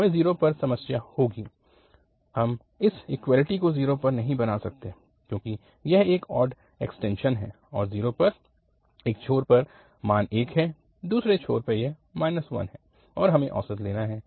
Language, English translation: Hindi, We will have a problem at 0, we cannot make this equality at 0 because it is an odd extension and at 0, at one end the value is 1, the other end it is minus 1 and we have to take the average